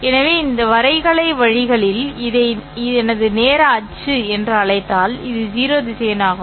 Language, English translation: Tamil, So, if in graphical ways, if I call this as my time axis, then this would be the zero vector